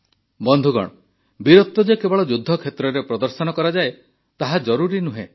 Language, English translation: Odia, it is not necessary that bravery should be displayed only on the battlefield